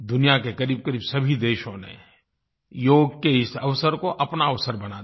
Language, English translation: Hindi, Almost all the countries in the world made Yoga Day their own